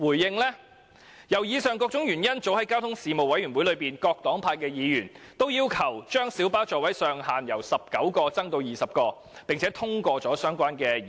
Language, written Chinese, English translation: Cantonese, 基於上述種種原因，各黨派議員早已在交通事務委員會的會議上，要求把小巴座位的上限由19個增至20個，並已通過相關的議案。, Due to the above mentioned reasons Members of various political parties and groupings have asked the Government to increase the maximum seating capacity of light buses from 19 to 20 at meetings of the Panel on Transport and a motion was passed in this connection